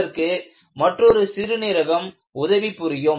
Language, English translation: Tamil, Another kidney can help you